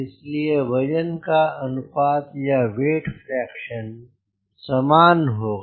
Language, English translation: Hindi, so weight ratio, weight fraction, will be same